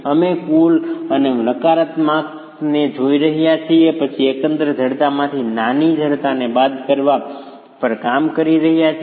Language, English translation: Gujarati, We are looking at total and the negatives and then working on subtracting overall stiffness from subtracting smaller stiffnesses from the overall stiffnesses